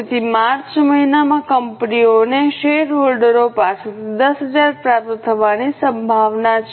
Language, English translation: Gujarati, So, company is likely to receive 10,000 from the shareholders in the month of March